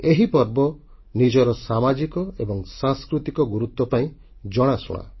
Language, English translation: Odia, This festival is known for its social and cultural significance